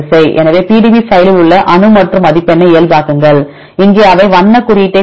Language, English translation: Tamil, So, you get this is the atom in the PDB file and this is in normalize score and here they give the color code